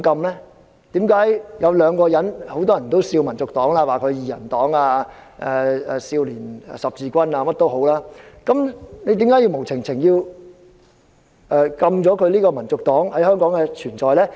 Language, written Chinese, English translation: Cantonese, 很多人取笑香港民族黨為"二人黨"、少年十字軍等，為何要無故禁制香港民族黨在香港的存在？, Many people mocked HKNP as a two - person party and Childrens Crusade etc . Why should HKNP be banned in Hong Kong for no reason?